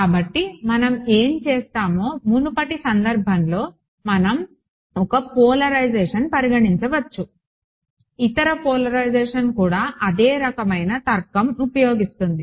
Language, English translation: Telugu, So, what we will do is like in the previous case we can consider 1 polarization, the other polarization the same kind of logic will follow right